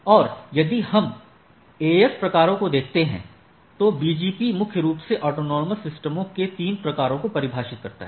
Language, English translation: Hindi, And if we look at the AS types, so BGP defines primarily 3 type of autonomous systems right